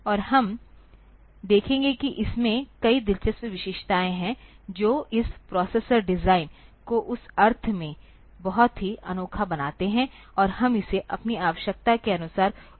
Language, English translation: Hindi, And we will see that it has got many interesting features that make this processor design very unique in that sense, and we can use it as per our requirement